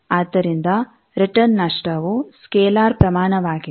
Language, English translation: Kannada, So, return loss it is a scalar quantity